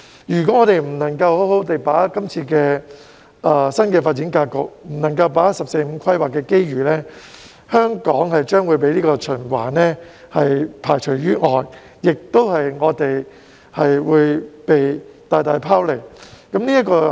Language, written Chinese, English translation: Cantonese, 如果香港不能夠好好地把握今次的新發展格局，不能夠把握"十四五"規劃的機遇，香港將會被循環排除於外，亦會被大大拋離。, If Hong Kong fails to grasp this new development pattern and the opportunities arising from the 14th Five - Year Plan it will be excluded from the circulation and lag far behind others